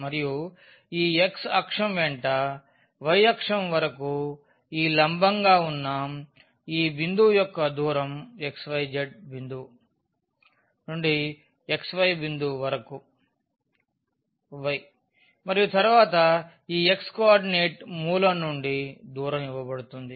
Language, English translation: Telugu, And, from the x axis along this y axis the distance of this point which was the perpendicular from this xyz point to the xy point is given by the y and then this x coordinate that is the distance from the origin